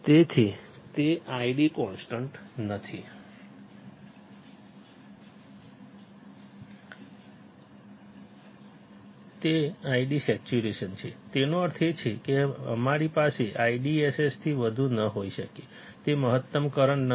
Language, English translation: Gujarati, So, that is not that I D is constant id saturation; that means, that we cannot have more than I DSS, it’s not a maximum current